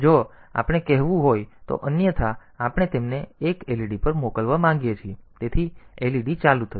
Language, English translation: Gujarati, And if we want to say otherwise we want to send them 1 to LED, so LED will be turned on